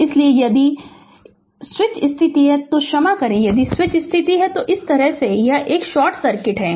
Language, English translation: Hindi, So, if the switch position ah sorry if the switch position is like this then it is short circuit right